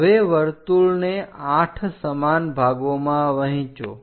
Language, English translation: Gujarati, Now divide the circle into 8 equal parts 4 parts are done